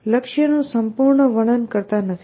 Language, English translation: Gujarati, We do not necessarily describe the goal completely